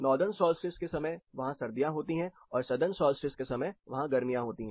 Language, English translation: Hindi, So during northern solstice they have winters and during southern solstice they have their summers